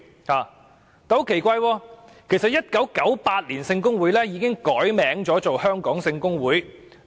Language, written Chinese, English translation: Cantonese, 很奇怪，其實，"英語聖公會"在1998年已經改稱"香港聖公會"。, In fact Church of England was already renamed as Hong Kong Sheng Kung Hui in 1998 and that is very strange